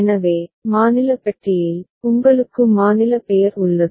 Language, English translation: Tamil, So, in the state box, you have the state name